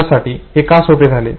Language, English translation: Marathi, Why it becomes easy for me